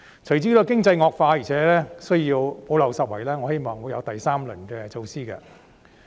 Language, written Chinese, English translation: Cantonese, 隨着經濟惡化，而且需要補漏拾遺，我希望會推出第三輪措施。, Given a worsening economy and the need to plug gaps I look forward to a third round of measures